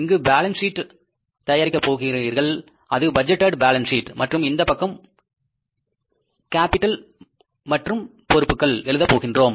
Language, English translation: Tamil, So, it means in this case you prepare the balance sheet here, that is the budgeted balance sheet and in this side we are taking the capital and liabilities